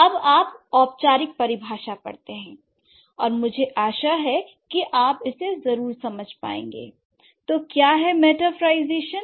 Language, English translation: Hindi, Now you read the formal definition and I hope you are going to understand it